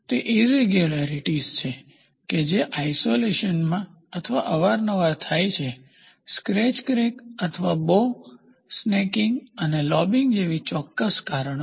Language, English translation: Gujarati, They are irregularities that occur in isolation or infrequently because, of a specific cause such as a scratch crack or a blemishes including bow, snaking and lobbing